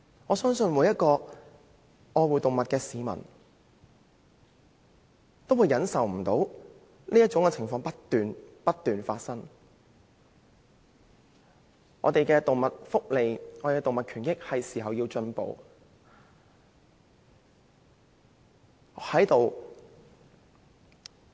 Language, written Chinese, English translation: Cantonese, 我相信每位愛護動物的市民也不能忍受這種情況，我們的動物福利和權益是時候要進步。, I believe that all members of the public who love animals will not tolerate this situation . It is high time for us to improve our animal welfare rights and interests